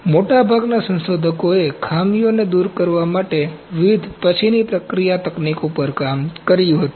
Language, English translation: Gujarati, Most of the researchers worked on various post processing techniques to overcome the drawbacks